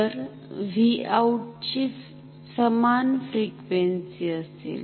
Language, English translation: Marathi, So, V out will have same frequency